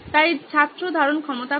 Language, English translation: Bengali, So student retention is low